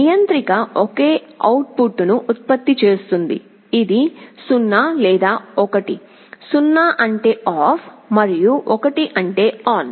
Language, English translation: Telugu, So, controller will be generating a single output, which is 0 or 1, 0 means off and 1 means on